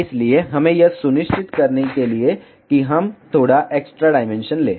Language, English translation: Hindi, So, we just to ensure this we take little extra dimension